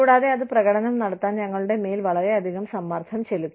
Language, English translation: Malayalam, And, that put us a lot of pressure on us, to perform